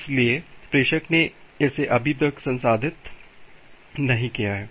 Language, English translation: Hindi, So, the sender has not processed it yet